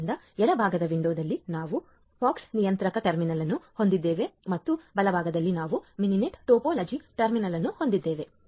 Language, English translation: Kannada, So, in this so, in left side window we have the pox controller terminal and in the right side we have the Mininet topology terminal